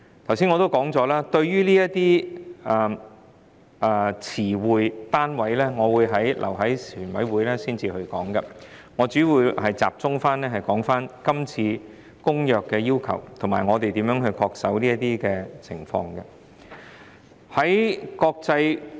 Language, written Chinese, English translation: Cantonese, 正如我剛才所說，對於這些詞彙和單位，我會留待全體委員會審議階段討論，我現在主要集中討論今次《公約》決議的要求，以及我們要如何恪守這些要求。, As I just said I will discuss the terms and units at the Committee stage and now I will focus on discussing the requirements in the resolutions on the Convention and how we are going to scrupulously comply with these requirements